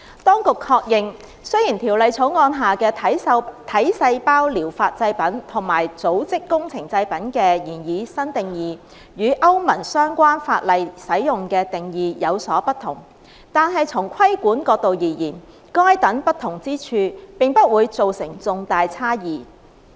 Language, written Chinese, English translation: Cantonese, 當局確認，雖然《條例草案》下的"體細胞療法製品"和"組織工程製品"的擬議新定義，與歐盟相關法例使用的定義有所不同，但從規管角度而言，該等不同之處並不會造成重大差異。, The Administration confirmed that while the proposed new definitions of somatic cell therapy product and tissue engineered product under the Bill differed from those used in the relevant EU legislation the differences would constitute no material difference from the regulatory point of view